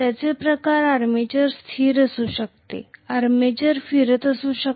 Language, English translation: Marathi, The same way armature could be stationary, armature could be rotating